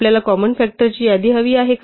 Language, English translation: Marathi, Do we need a list of common factors at all